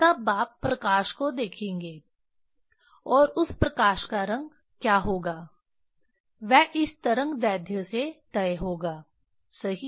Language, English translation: Hindi, Then you will see the light and that light what will be the color that will be decided from this wave length right